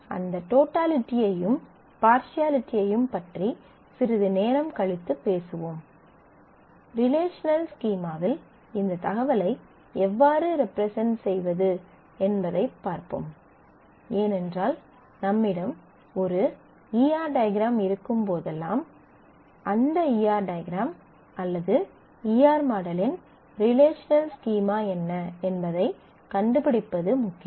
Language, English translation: Tamil, We will talk about that totality and partiality little later; let us look at how do we represent this information in the relational schema because as we have seen that whenever we have a E R diagram; it is important to find out what is the relational schema that will be corresponding to that E R diagram or E R model